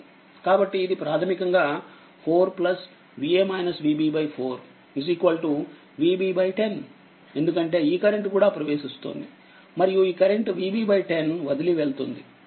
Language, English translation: Telugu, So, it is basically 4 plus V a minus V b divided by 4, because this current is also entering and this current is leaving is equal to your V b by 10